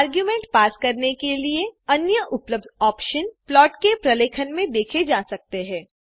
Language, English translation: Hindi, Other available options for passing arguments can be seen in the documentation of plot